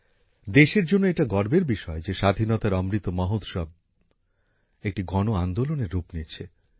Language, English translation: Bengali, It is a matter of pride for the country that the Azadi Ka Amrit Mahotsav is taking the form of a mass movement